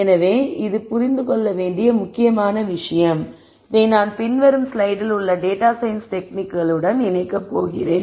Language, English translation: Tamil, So, this is an important thing to understand and I am going to connect this to the techniques and data science in the coming slide